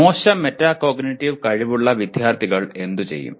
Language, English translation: Malayalam, And what do the students with poor metacognitive skills do